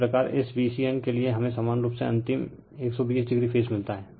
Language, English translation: Hindi, Similarly, for this V c n we get similarly ultimate 120 degree phase shift right